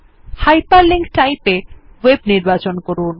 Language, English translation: Bengali, In the Hyperlink type, select Web